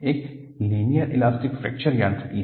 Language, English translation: Hindi, One is Linear Elastic Fracture Mechanics